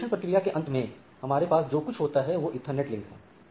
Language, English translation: Hindi, So, at what we are having at our end is the Ethernet link